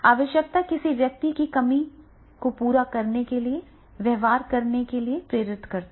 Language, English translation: Hindi, A need motivates a person to behave in a manner to satisfy the deficiency